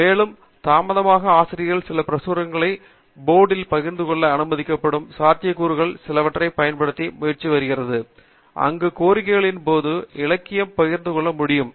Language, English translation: Tamil, And, of late, there has been also an effort to use some of the possibilities of authors being allowed to share their own publications on a portal, where upon request, it is possible to have the literature shared